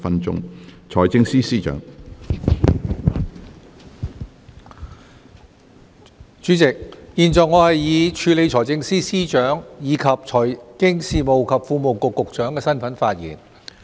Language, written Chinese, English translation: Cantonese, 主席，現在我以署理財政司司長，以及財經事務及庫務局局長的身份發言。, President I now speak in my capacities as Acting Financial Secretary and Secretary for Financial Services and the Treasury